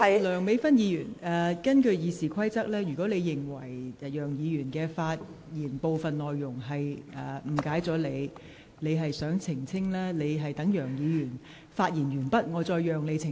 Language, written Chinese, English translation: Cantonese, 梁美芬議員，根據《議事規則》，如果你認為楊議員發言的部分內容誤解了你，而你想澄清，我可在楊議員發言完畢後讓你澄清。, Dr Priscilla LEUNG according to the Rules of Procedure if you consider a part of your speech has been misunderstood by Mr YEUNG and you demand a clarification you will be allowed to explain after Mr YEUNG has finished his speech